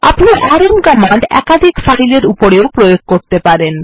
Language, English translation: Bengali, We can use the rm command with multiple files as well